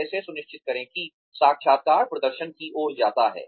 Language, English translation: Hindi, How to ensure, that the interview leads to performance